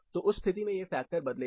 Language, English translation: Hindi, So in that case, this particular factor will vary